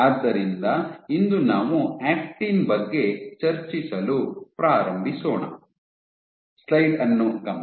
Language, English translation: Kannada, So, today we will get started with discussing actin